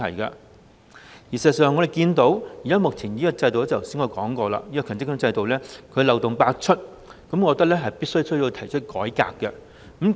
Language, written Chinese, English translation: Cantonese, 事實上，正如我剛才所說，我們看到現時的強積金制度漏洞百出，我覺得必須改革。, As I have just mentioned since the existing MPF System is rife with loopholes I hold that reforms must be carried out